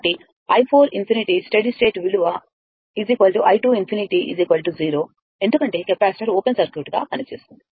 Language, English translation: Telugu, So, i 4 infinity the steady state value is equal to i 2 infinity is equal to 0 because capacitor act as an open circuit